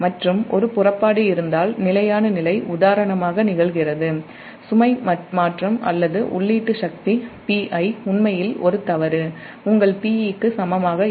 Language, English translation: Tamil, and if there is a departure from steady state occurs, for example a change in load or a fault, the input power p i actually is not equal to your p e